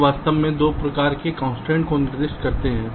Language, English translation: Hindi, they actually specify two kinds of constraints